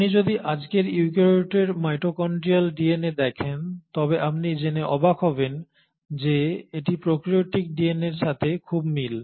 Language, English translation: Bengali, If you were to look at the mitochondrial DNA of today’s eukaryote you will be surprised to know that it is very similar to prokaryotic DNA